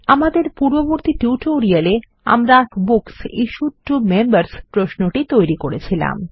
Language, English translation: Bengali, In our previous tutorials, we created the History of Books Issued to Members query